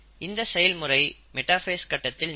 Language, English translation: Tamil, So that happens in metaphase